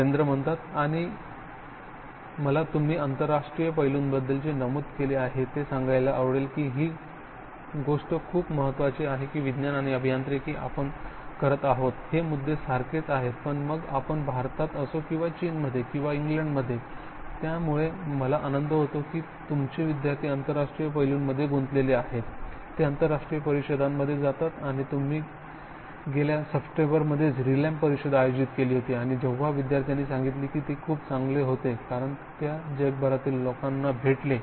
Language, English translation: Marathi, And and I like to point out what you mention about the international aspects, thing is very important that science and engineering we are doing the issues are the same whether we are in India or China or England and so these and I am glad that your students are involved in the international aspects, they go to international conferences and you have organised just last September, the Rilem conference and when student said that was very good because they meet people from around the world